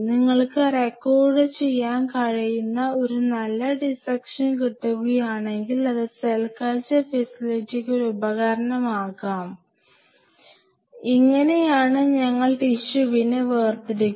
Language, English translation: Malayalam, There is a good dissection you can record it and that could be a tool for cell culture facility, that you know this is how we isolate the tissue